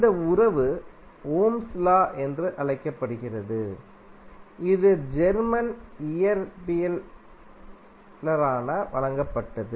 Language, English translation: Tamil, This relationship is called as Ohms law, which was given by the, that German physicist